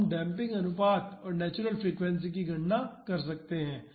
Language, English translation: Hindi, So, we can calculate the damping ratio and natural frequencies